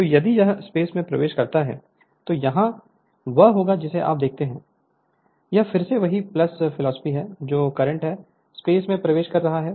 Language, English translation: Hindi, So, if it is entering the plane then here it will be what you call if you look into this is your again the same philosophy this is the plus current is entering into the plane